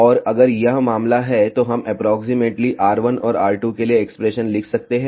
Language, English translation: Hindi, And, if this is the case we can approximately write expression for r 1 and r 2